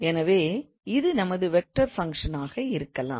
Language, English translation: Tamil, So what do we mean by vector functions